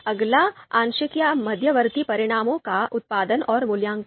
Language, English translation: Hindi, Next, producing and evaluating partial or intermediate results